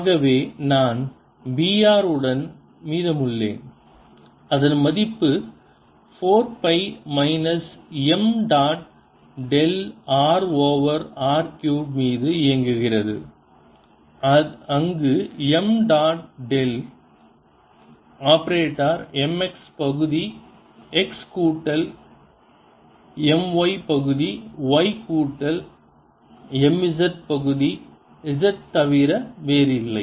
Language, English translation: Tamil, r is equal to mu naught over four pi, minus m dot del operating on r over r cubed, where m dot del operator is nothing but m x partial x plus m y, partial y plus m z, partial z